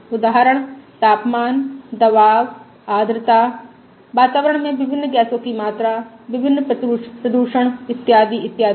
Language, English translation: Hindi, Example: your temperature, pressure, humidity, atmospheric content of various gases, various pollutant and so on